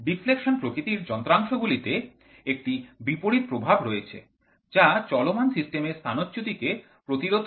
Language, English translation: Bengali, The deflection type instrument has opposite effects which opposes the displacement of a moving system